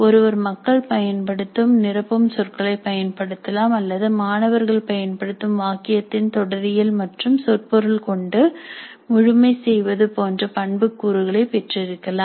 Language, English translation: Tamil, One could have parameters like the filler words that people use or the completeness in terms of syntax and semantics of the sentences used by the student